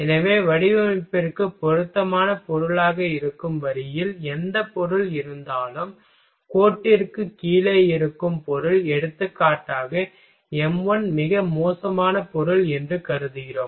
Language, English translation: Tamil, So, what happens the line whatever material which lie on the line that will be the suitable material for design, and the material which lie below the line suppose for example, m1 that is the worst material